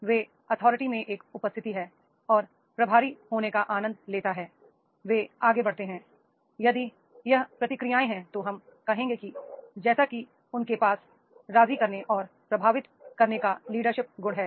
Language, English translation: Hindi, Those has the presence and authority and enjoys being in charge, takes the lead, then if this is the responses are there, then we will say that is he is having a leadership quality of persu and influencing